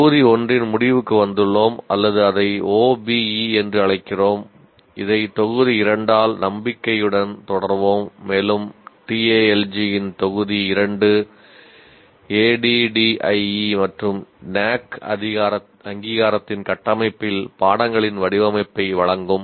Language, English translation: Tamil, That will bring us to the end of module one or what we are calling it OBE and this will be followed hopefully by module 2 and module 2 of Tal G will present the design of courses in the framework of ADD and NAAC accreditation